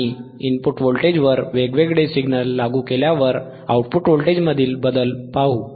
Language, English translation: Marathi, And let us see the change in the output voltage when we apply different signal at the input voltage all right